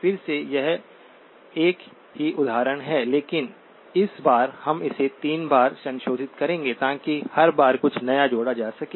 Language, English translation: Hindi, Again, it is the same example but this time we will be revisiting it 3 times, to add something new each time